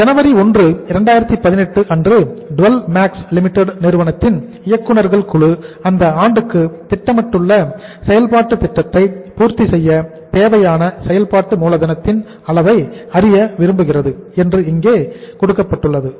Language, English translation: Tamil, See here it is written that on 1st January 2018 right board of directors of Dwell Max Limited wishes to know the amount of working capital that will be required to meet the program of activity they have planned for the year